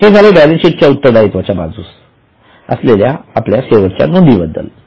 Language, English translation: Marathi, Okay, now this was our last item in balance sheet, liability side